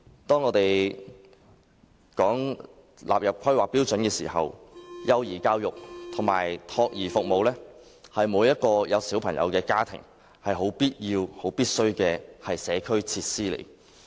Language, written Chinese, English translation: Cantonese, 當我們討論更新《規劃標準》時，幼兒教育及託兒服務是每個有子女的家庭不可缺少的社區設施。, In discussing the updating of HKPSG we must note that early childhood education and child care services are indispensable community facilities for every family with children